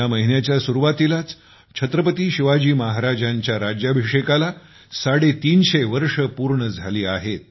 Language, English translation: Marathi, The beginning of this month itself marks the completion of 350 years of the coronation of Chhatrapati Shivaji Maharaj